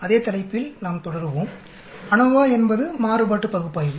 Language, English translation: Tamil, We will continue on that same topic, ANOVA is nothing but analysis of variance